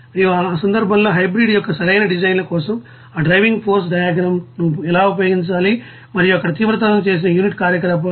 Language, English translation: Telugu, And in that case how to use that driving force diagrams for the optimal design of the hybrid and intensified unit operations there